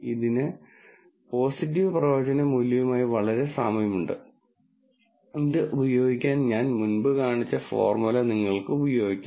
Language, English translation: Malayalam, Very similar to the positive predictive value and you can use the formula that I shown before to use this